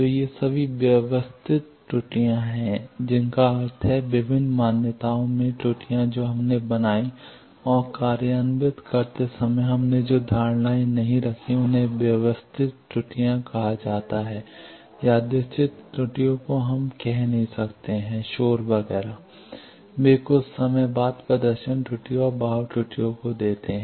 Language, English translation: Hindi, So, all these are systematic errors that means, errors in various assumptions we made and while implemented that assumptions we did not keep that is called systematic errors random errors we cannot say noise etcetera, they give random errors and drift errors after sometime the performance degrades